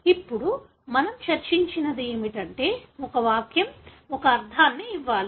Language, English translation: Telugu, Now, what we discussed is that a sentence should give a meaning